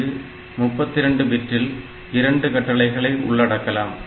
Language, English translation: Tamil, So, in 32 bit we have got two instructions